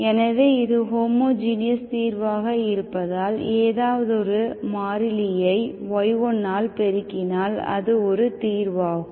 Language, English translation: Tamil, So, because it is homogeneous solution, any constant multiple of y1 is also solution, you need not worry about this minus